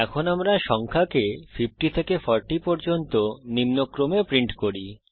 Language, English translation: Bengali, Now Let us print numbers from 50 to 40 in decreasing order